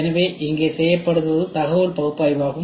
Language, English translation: Tamil, So, then what gets done here is information analysis